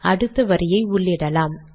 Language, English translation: Tamil, Let me enter the next line